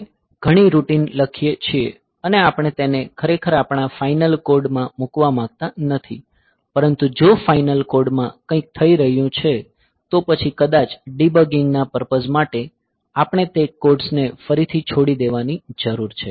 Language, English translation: Gujarati, So, we write a many routine and we do not want to really put them into our final code, but if there is something happening in the final code, then maybe for debugging purpose we need to leave up those codes again